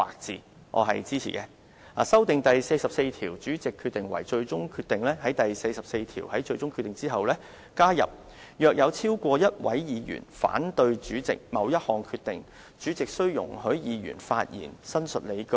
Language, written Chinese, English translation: Cantonese, 其次，修訂第44條，以便在第44條所訂"最終決定。"之後加入"若有超過一位議員反對主席某一項決定，主席須容許議員發言申述理據。, Secondly he proposes to amend RoP 44 so that If any decision is objected by more than one Member the President or the Chairman shall allow the Members to explain the objection